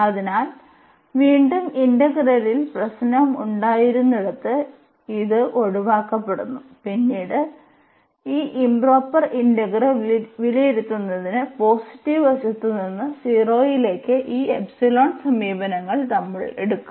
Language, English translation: Malayalam, So, again this a where the problem was there in the integral is avoided and later on we will take this epsilon approaches to 0 from the positive side to evaluate this improper integral